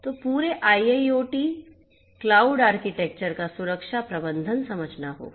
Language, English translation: Hindi, So, security management of the whole IIoT cloud architecture right